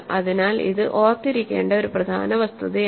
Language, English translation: Malayalam, So, this is an important fact to remember